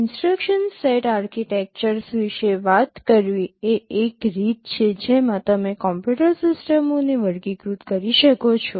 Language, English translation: Gujarati, Talking about the instruction set architectures this is one way in which you can classify computer systems